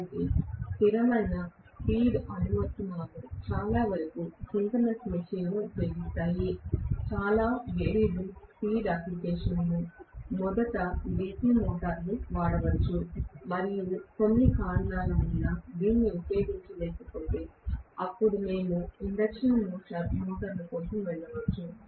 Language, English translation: Telugu, So most of the constant speed applications will use synchronous machine, most of variable speed applications might use DC motors first and if it cannot be used for some reason, then we may go for induction motors and so on